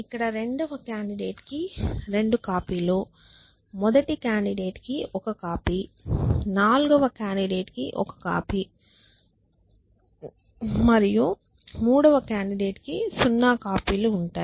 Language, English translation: Telugu, I will get 2 copies of the second candidate one copy of the first one copy of the fourth and none of the third one essentially